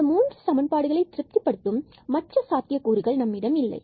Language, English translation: Tamil, This is another point which satisfies all these equations